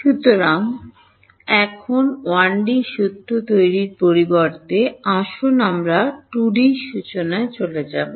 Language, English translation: Bengali, So, now, let us instead of doing a 1D formulation, we will jump to a 2D formulation